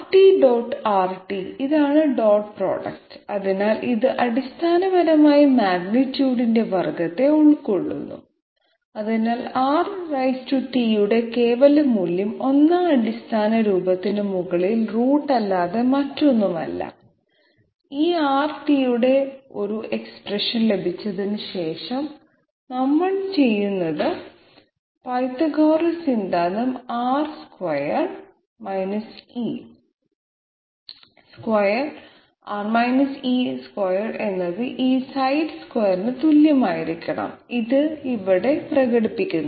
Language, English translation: Malayalam, So that R t the this is the dot product, so it basically it involves the square of the magnitude therefore, the absolute value magnitude of R t is nothing but root over 1st fundamental form and after getting an expression of this R t, what we do is we bring in Pythagoras theorem where R square R e square must be equal to this side square, this is expressed here